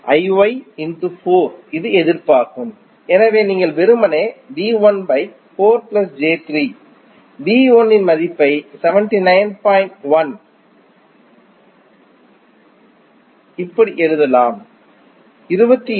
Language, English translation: Tamil, I Y into 4 that is the resistance, so you will simply put the value of I Y that is V 1 upon 4 plus j3, V 1 you have just found that is 79